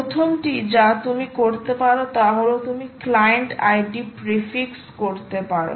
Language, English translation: Bengali, ok, first thing that you can do is you can do client id prefix